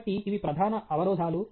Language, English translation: Telugu, So, these are the major constraints